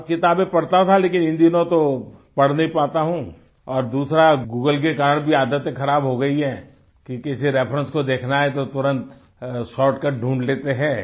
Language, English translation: Hindi, But these days I am unable to read and due to Google, the habit of reading has deteriorated because if you want to seek a reference, then you immediately find a shortcut